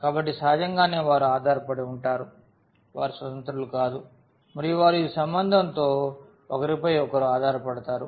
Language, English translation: Telugu, So, naturally they are dependent, they are not independent and they depend on each other with this relation